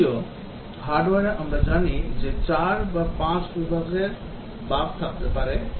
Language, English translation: Bengali, Whereas, in hardware we know that there can be 4 or 5 categories of bugs